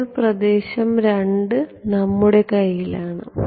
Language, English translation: Malayalam, Now, medium 2 is in our hands